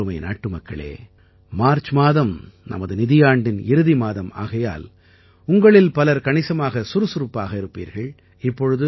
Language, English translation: Tamil, My dear countrymen, the month of March is also the last month of our financial year, therefore, it will be a very busy period for many of you